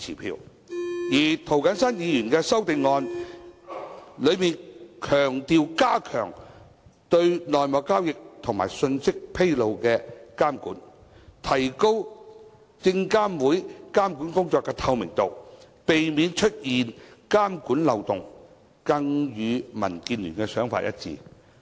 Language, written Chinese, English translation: Cantonese, 至於涂謹申議員的修正案強調加強對內幕交易及披露信息的監管，提高證監會監管工作的透明度，避免出現監管漏洞，更與民建聯的想法一致。, As regards Mr James TOs amendment it emphasizes strengthening regulation of insider dealings and disclosure of information and enhancing the transparency of SFCs regulatory work to pre - empt loopholes in regulation which are even more in line with DABs thinking